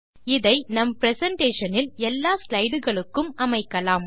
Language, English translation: Tamil, We shall also apply this background to all the slides in the presentation